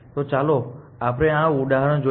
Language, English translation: Gujarati, So, let us then look at this example